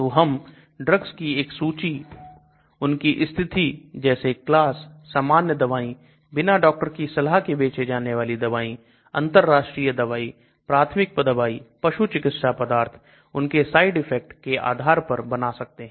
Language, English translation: Hindi, So we can do a drug index based on condition, class, generic drugs, over the counter drugs, international drugs, natural products, veterinary products, drug side effects